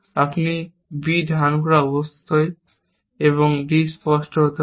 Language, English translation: Bengali, Now, you are holding b and clear d